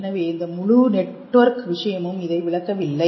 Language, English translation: Tamil, So, this whole network thing does not explain this